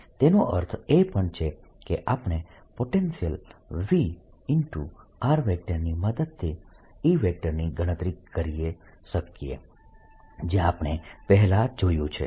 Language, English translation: Gujarati, what that also means that we can calculate e from a potential v r, which we have already seen right